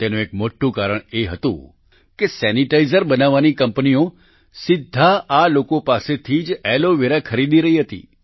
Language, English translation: Gujarati, One of the major reasons for this was that the companies making sanitizers were buying Aloe Vera directly from them